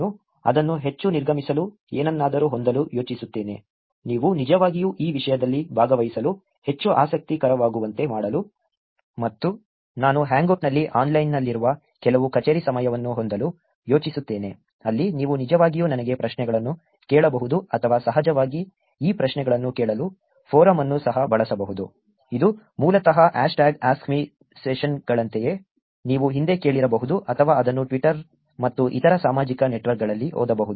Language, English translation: Kannada, I also plan to have something to make it more exiting, to make it more interesting for you to actually participate in the topic and I also plan to have some office hours where I would be online on Hangout, where you can actually ask me questions or of course, the forum also can be used for asking these questions, it's basically like hashtag AskMe sessions that you may have heard about in the past or read it on twitter and other social networks